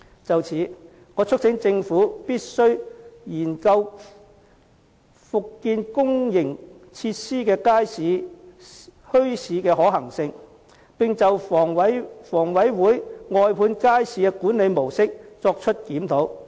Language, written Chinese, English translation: Cantonese, 就此，我促請政府必須研究復建公營設施如街市和墟市的可行性，並就房委會外判街市的管理模式作檢討。, In this connection I urge that the Government must examine the feasibility of resuming the construction of public facilities like wet markets and bazaars and review the management model of outsourcing wet markets adopted by HA